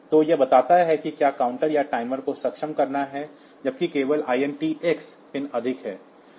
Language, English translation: Hindi, So, this tells when the whether counter has to the timer has to be enabled, only while the INT x pin is high